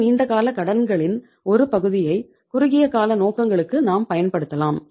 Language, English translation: Tamil, Part of the long term loans or part of the long term borrowings can be used for the short term purposes